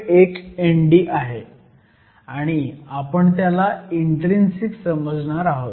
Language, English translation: Marathi, 1 N d, and we are going to treat this as intrinsic